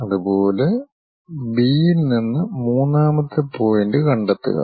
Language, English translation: Malayalam, Similarly, from B locate third point